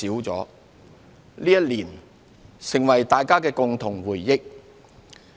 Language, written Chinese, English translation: Cantonese, 這一年成為了大家的共同回憶。, The year 2020 has become our common memory